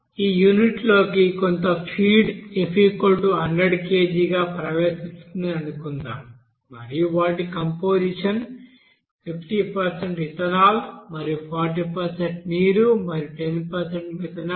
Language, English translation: Telugu, In this case suppose in this unit some feed is entering as 100 kg as F and their composition is you know 50% you know ethanol and 40% water and 10% methanol